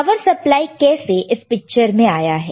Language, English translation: Hindi, How the power supply comes into picture, right